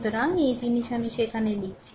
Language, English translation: Bengali, So, this thing I am writing there